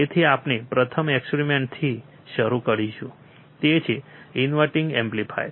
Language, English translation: Gujarati, So, we will start with the first experiment, that is the inverting amplifier